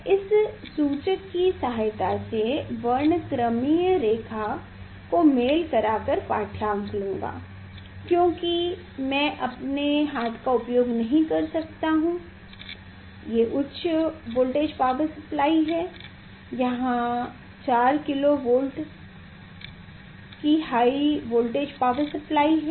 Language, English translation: Hindi, this I think I will just to match with this with the spectral line of this indicator because I am not using my hand because high voltage power supply is there power is there 4 kilo Volt power is heavy power